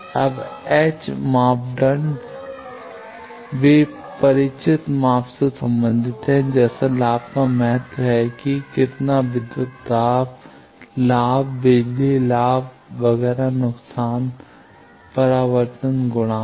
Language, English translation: Hindi, Now, S parameters they relate to familiar measurements like gain means how much voltage gain, power gain, etcetera loss reflection coefficient